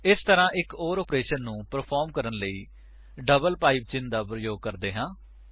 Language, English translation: Punjabi, This way, we use a double PIPE symbol to do an OR operation